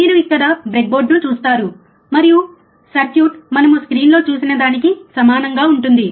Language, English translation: Telugu, you see the breadboard here, and the circuit is similar to what we have seen in the screen